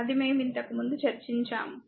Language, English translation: Telugu, That we have discussed before, right